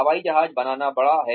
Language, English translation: Hindi, Building an Airplane is big